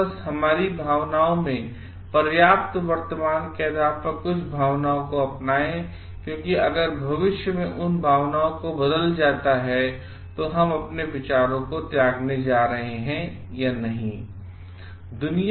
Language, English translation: Hindi, And just adopt some feelings based on our enough current in our feelings and because if those feelings change in the future perspective are we going to abandon our ideas or not